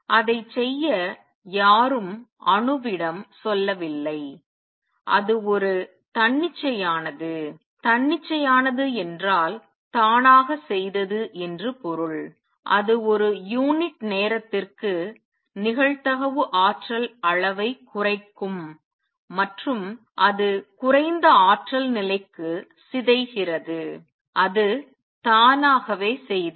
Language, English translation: Tamil, Nobody told the atom to do it, it did it a spontaneously spontaneous means by itself it just though the probability per unit time that decay to lower energy level and it did